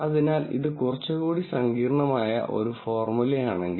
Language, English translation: Malayalam, So, if this is a slightly more complicated formula